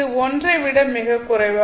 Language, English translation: Tamil, In fact, it is much less than 1